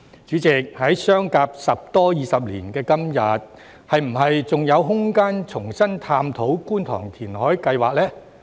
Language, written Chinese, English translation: Cantonese, 主席，在相隔十多二十年後的今天，是否還有空間重新探討觀塘填海計劃呢？, President after nearly two decades is there still room to revisit the Kwun Tong reclamation project now?